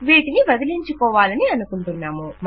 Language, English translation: Telugu, We want to get rid of that